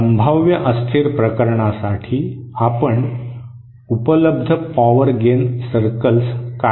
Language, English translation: Marathi, For the potentially unstable case, you draw the available power gain circles